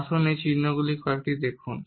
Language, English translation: Bengali, Let’s look at some of these symbols